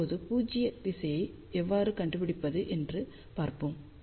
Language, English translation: Tamil, Now, let us see how we can find the null direction